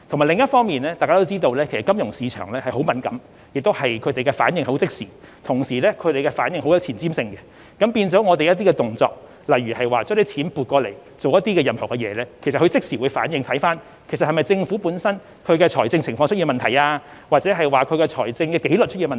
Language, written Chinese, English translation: Cantonese, 另一方面，一如大家所知，金融市場十分敏感，反應亦非常即時及具有前瞻性，政府的些微動作如調撥資金作某些用途，均可能導致市場作出即時反應，以為政府本身的財政情況或財政紀律出現問題。, On the other hand we all know that the financial market is very sensitive and it tends to give instant and forward - looking responses . A slightest move by the Government such as transferring funds for some particular uses may trigger instant responses from the market out of concern that there is something wrong with its financial situation or fiscal discipline